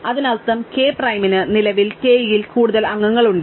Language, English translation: Malayalam, That means, k prime currently has more members in k